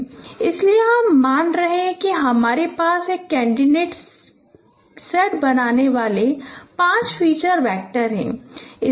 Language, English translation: Hindi, So I am assuming that I have 5 feature vectors forming a candidate set